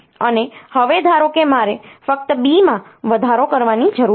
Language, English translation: Gujarati, And now suppose I just need to increment B